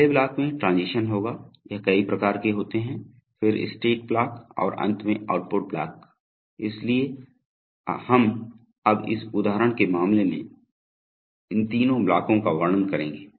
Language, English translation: Hindi, The first block will contain the transitions, this is multiple rungs then the state block and finally the output block, so we will now describe these three blocks in the case of this example